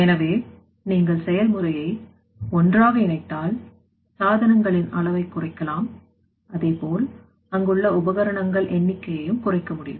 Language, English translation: Tamil, So, if you integrate the process you can reduce the size of the equipment as well as you know that number of equipment there